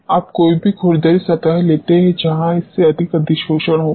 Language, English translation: Hindi, You take any rough surface where the adsorption will be more than this